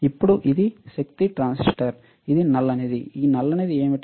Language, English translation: Telugu, Now, this power transistor this black thing, what is this black thing